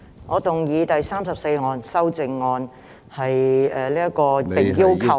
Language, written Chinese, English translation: Cantonese, 我動議編號34的修正案。, I move that Amendment No . 34 be passed